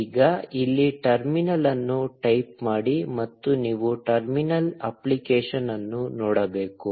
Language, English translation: Kannada, Now, here type in terminal, and you should see the terminal app